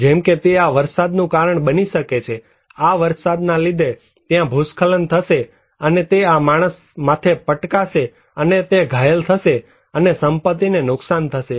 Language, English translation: Gujarati, Like, it can cause that this rainfall because of the rainfall, this landslide will take place and it may hit this person and he will be injured and property loss will be reported